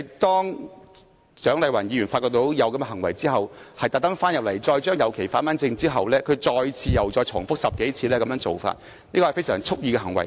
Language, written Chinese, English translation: Cantonese, 當蔣麗芸議員因發現這種行為而特地返回會議廳整理這些旗後，他再次重複這個動作10多次，屬蓄意行為。, After Dr Hon CHIANG Lai - wan on discovery of such an act had made it a point to return to the Chamber to rearrange the flags he again did the same act 10 times or so which constituted a deliberate act